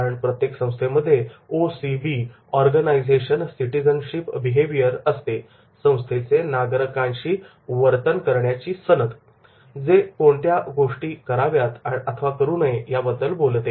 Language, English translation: Marathi, Because every organization's OCB, organizational citizenship behavior which talks about to do's and do nots